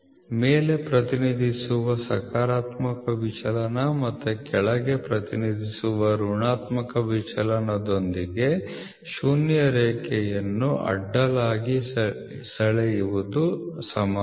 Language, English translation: Kannada, The convention is to draw a zero line horizontally with positive deviations represented above and the negative deviations represented below